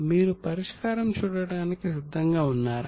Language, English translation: Telugu, Are you ready to see the solution